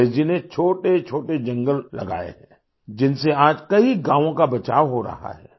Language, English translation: Hindi, Amreshji has planted micro forests, which are protecting many villages today